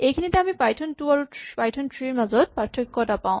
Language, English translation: Assamese, Here, we encounter a difference between Python 2 and Python 3